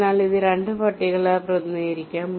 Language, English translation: Malayalam, so this can be represented by two lists, top and bottom